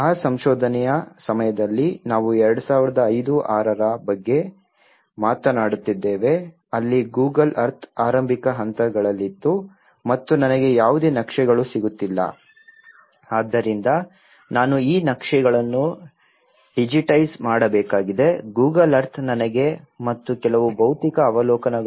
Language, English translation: Kannada, The first challenge in that time of research we are talking about 2005 2006 where the Google Earth was just in the beginning stages and I was not getting any Maps, so I have to digitize these maps whatever the Google Earth have to give me and some physical observations